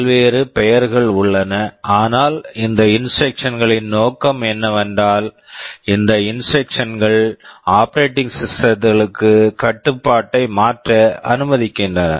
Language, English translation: Tamil, There are various names, but the purpose of this instructions is that, these instructions allow to transfer control to the operating system